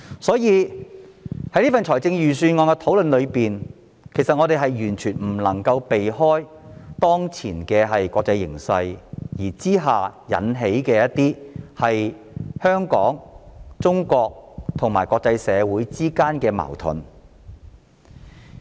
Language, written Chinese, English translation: Cantonese, 所以，在預算案討論中，我們完全不能避免提及，當前國際形勢引致香港、中國及國際社會之間的矛盾。, So during our discussion on the Budget we cannot avoid mentioning that the current international situation has caused conflicts among Hong Kong China and the international community